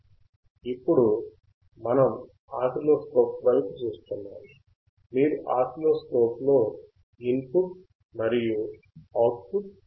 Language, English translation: Telugu, Now we are looking at the oscilloscope, and in oscilloscope we can see the input as well as output